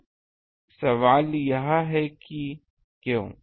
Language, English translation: Hindi, Now question is why